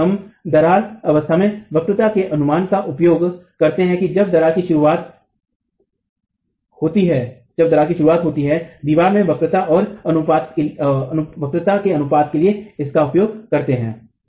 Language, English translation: Hindi, So, we are using the estimate of the curvature at the cracked stage when the initiation of crack occurs, use that to proportion the curvature in the wall itself